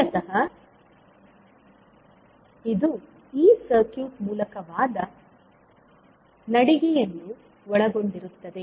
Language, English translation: Kannada, Basically it involves walking through this circuit